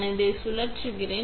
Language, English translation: Tamil, I am going to spin this one